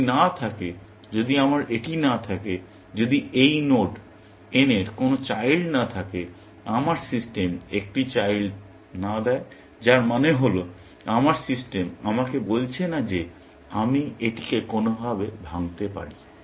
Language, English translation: Bengali, If none, if I do not have; if this node n does not have any children, my system is not giving a child, which means, it means my system is not telling me, that I can decompose it in some way